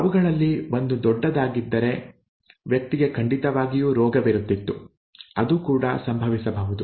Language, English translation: Kannada, If one of them is capital then the person definitely has the disease, that can also happen